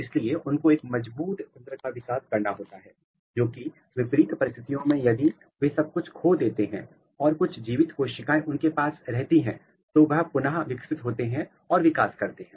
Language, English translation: Hindi, So, they have to have a mechanism or robust mechanism that under adverse condition, if everything they lose even they retain some kind of living cells they should revert back and they should propagate back to that one